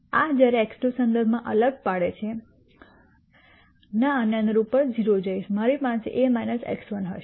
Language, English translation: Gujarati, This when differentiated with respect to x 2 will go to 0 corresponding to this I will have a minus x 1